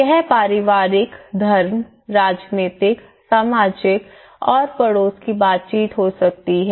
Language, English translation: Hindi, It could be family, religion, political, social and neighbourhood interactions